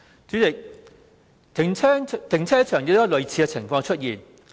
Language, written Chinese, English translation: Cantonese, 主席，停車場亦有類似的情況出現。, President the situation of car parks is similar